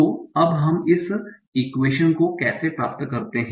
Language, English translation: Hindi, So now how do we get this equation